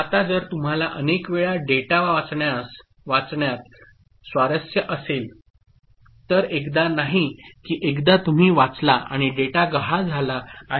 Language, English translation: Marathi, Now, if you are interested in reading the data multiple times not that once you read and the data is lost ok